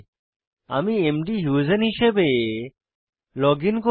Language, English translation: Bengali, I will login as mdhusein